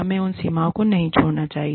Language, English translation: Hindi, We should not overstep, those boundaries